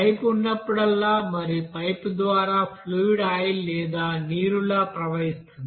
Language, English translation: Telugu, So whenever pipe is there and through the pipe is fluid is flowing like oil, water whatever it is